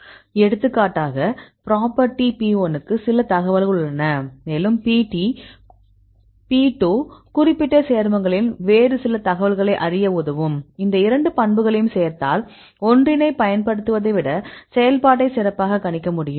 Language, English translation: Tamil, You can combine different properties because for example, property P1 have some information and P2 can capture some other information in particular compound; then if you add up these two properties then can better predict the activity rather than using a single one